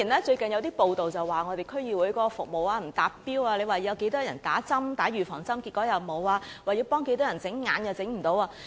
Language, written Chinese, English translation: Cantonese, 最近有報道指我們區議會的服務不達標，說會為多少人注射預防針，結果沒有；說要向多少人提供眼科服務，結果亦做不到。, Recently it has been reported that our services in DCs did not reach the targets in that we said we would provide vaccination for a certain number of people but in the end we did not; we said we would provide ophthalmic service for a certain number of people but in the end we failed to do it either